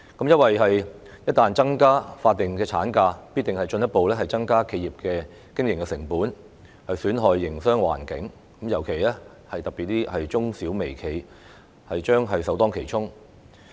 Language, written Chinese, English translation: Cantonese, 由於一旦增加法定產假，必定會進一步增加企業的經營成本，損害營商環境，特別是中小微企將會首當其衝。, If and when statutory ML is extended it will inevitably further increase the operating cost of enterprises and harm the business environment . In particular micro small and medium enterprises MSMEs will be the first to bear the brunt